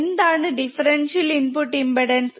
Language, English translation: Malayalam, What is differential input impedance